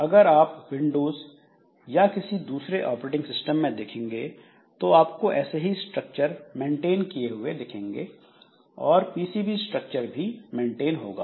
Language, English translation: Hindi, So, if you look into, say, windows or any other operating system, so you will find that similar such process structure is maintained, PCB structure is maintained